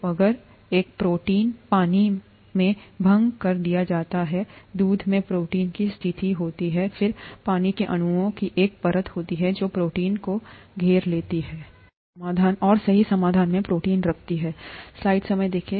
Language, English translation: Hindi, So if a protein is dissolved in water as in the case of a protein in milk, then there is a layer of water molecules that surround the protein and keep the protein in solution, right